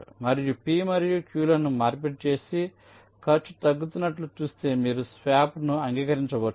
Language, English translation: Telugu, so if you exchange p and q and see that the cost is decreasing, then you can just accept the swap